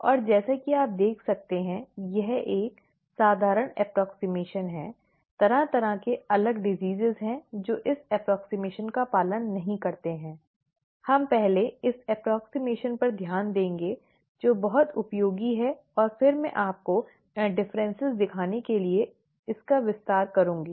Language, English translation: Hindi, And as you can see, this is a simple approximation, there are various different diseases that do not follow this approximation, we will first look at this approximation which is very useful and then I will extend that to show you the differences